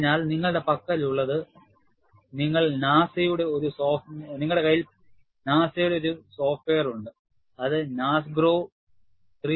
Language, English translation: Malayalam, So, what you have is, you have a software by NASA, which is known as NASGRO 3